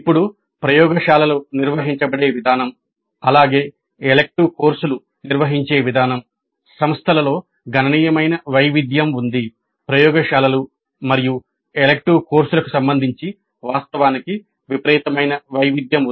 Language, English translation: Telugu, Now the way the laboratories are organized as well as the way the elective courses are organized there is considerable variation across the institutes